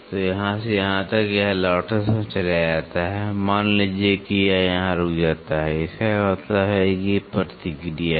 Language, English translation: Hindi, So, from here to here, it goes while return suppose it stops here then; that means to say there is a backlash